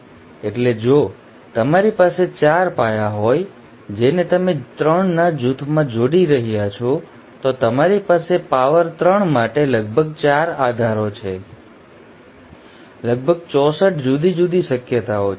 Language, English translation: Gujarati, So if you have 4 bases which you are combining in groups of 3, then you have about 4 to power 3, about 64 different possibilities